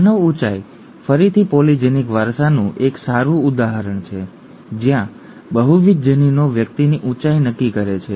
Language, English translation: Gujarati, The human height is again a good example of polygenic inheritance where multiple genes determine the height of person